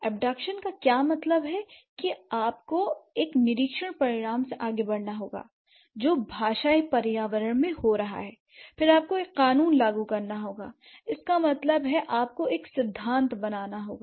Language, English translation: Hindi, So, abduction here means you have to proceed from an observed result, what is happening in the linguistic entrainment, then you have to invoke or law, that means you have to build a principle